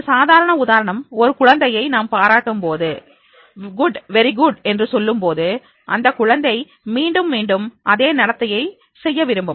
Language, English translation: Tamil, A simple example is that is whenever there is a child and when we appreciate that child and say good, very good, then the child will like to repeat that behavior again and again